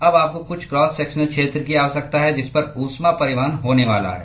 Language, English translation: Hindi, Now you need some cross sectional area at which the heat transport is going to occur